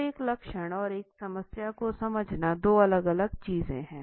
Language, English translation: Hindi, So, understanding a symptom and a problem are two different things